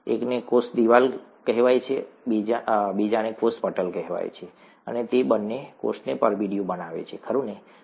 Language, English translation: Gujarati, One is called a cell wall, the other one is called a cell membrane, and both of them envelope the cell, right